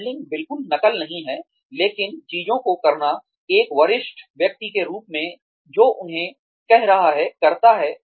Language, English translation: Hindi, Modelling is not exactly copying, but doing things, as a senior person, who has been doing them, does